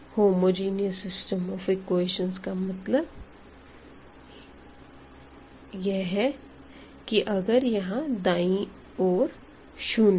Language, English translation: Hindi, So, homogeneous means the right hand side we have set to 0